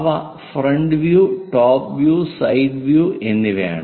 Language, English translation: Malayalam, Different views are side view, front view and top view